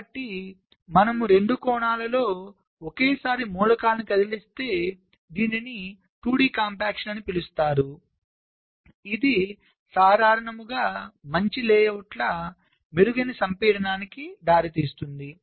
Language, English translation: Telugu, so if you move the elements simultaneously in some way in both the dimensions, this is called two d compaction, which in general can result in better layouts, better compaction